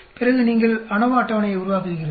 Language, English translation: Tamil, Then you create your ANOVA table